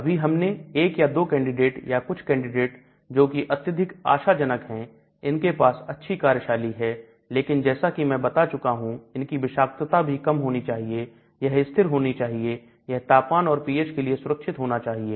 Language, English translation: Hindi, So now you have looked at one or two candidates or maybe few candidates which look very promising which has now good activity but then as I have been telling it should also have lower toxicity, should have good stability, temperature, pH, safety